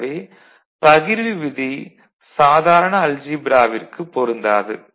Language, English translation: Tamil, This is similar to what you see in ordinary algebra